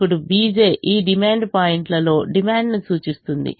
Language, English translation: Telugu, now b j is the represents the demand in these demand points